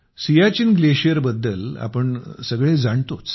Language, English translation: Marathi, we all know about the Siachen Glacier